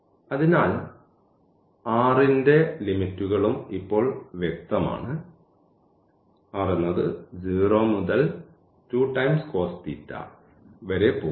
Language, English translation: Malayalam, So, the limits of r is also clear now, r is going from 0 to 2 cos theta